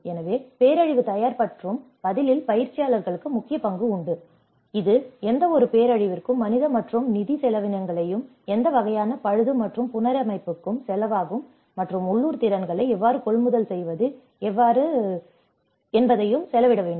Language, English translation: Tamil, So, practitioners have a key role in disaster preparedness and response, and it also has to outlay the human and financial cost of any catastrophe and what kind of repair and the reconstruction is going to cost and how to procure the local skills, how to procure the resources, so all these things fall within there